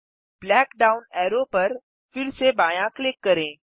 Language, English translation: Hindi, Left click the black down arrow again